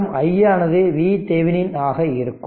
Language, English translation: Tamil, So, I told you i n is equal to V Thevenin by R thevenin